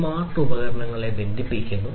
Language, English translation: Malayalam, The smart devices will be connected